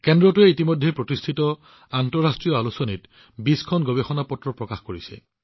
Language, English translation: Assamese, The center has already published 20 papers in reputed international journals